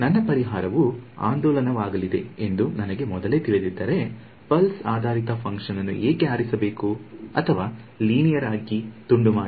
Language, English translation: Kannada, So, if I know beforehand that my solution is going to look oscillatory then why choose pulse basis function or piece wise up linear